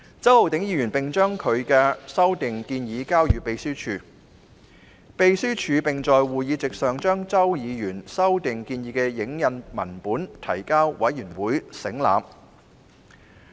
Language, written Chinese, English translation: Cantonese, 周浩鼎議員在會議前將修訂建議交予秘書處，秘書處在會議席上將修訂建議的影印文本提交委員省覽。, Mr Holden CHOW sent the proposed amendments to the Secretariat before the meeting; and the Secretariat tabled to members photocopies of the proposed amendments at the meeting